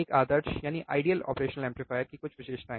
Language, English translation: Hindi, A few of the characteristics of an ideal operational amplifier